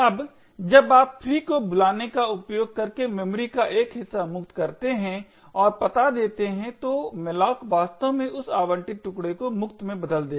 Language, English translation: Hindi, Now when you free a chunk of memory using the call free and giving the address then malloc would actually convert that allocated chunk to a free chunk